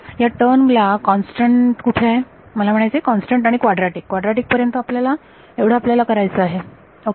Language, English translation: Marathi, Where this term has constant, I mean constant and quadratic up to quadratic is what we have to do ok